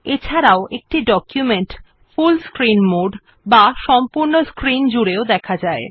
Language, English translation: Bengali, We see that the document exits the full screen mode